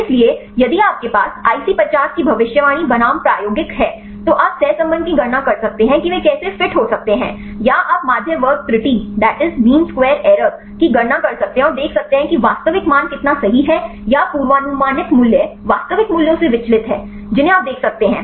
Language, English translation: Hindi, So if you have the IC50 predicted versus experimental right then you can calculate the correlation see how they can fit or you can calculate the mean square error and see how far the actual values right or the predicted values deviate from the actual values right you can see from that you can see whether this model fits well or not